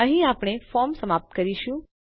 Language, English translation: Gujarati, We will end our form here